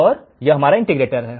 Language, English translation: Hindi, So, this is how the integrator would work